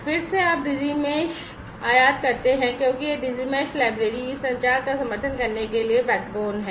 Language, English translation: Hindi, again you import the Digi Mesh and because this Digi Mesh library is the backbone the enabler for supporting this communication